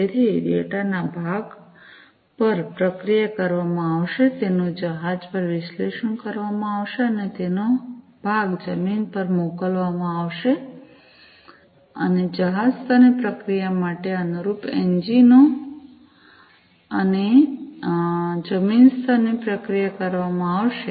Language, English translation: Gujarati, So, part of the data will be processed at will be analyzed at the vessel and part of it will be sent to the land, and corresponding engines for vessel level processing, and land level processing are going to be done